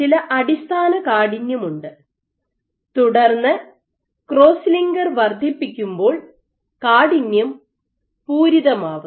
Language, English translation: Malayalam, So, there is some basal stiffness and then you increase the cross linker then your stiffness saturates